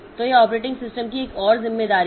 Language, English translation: Hindi, So, this is another responsibility of the operating system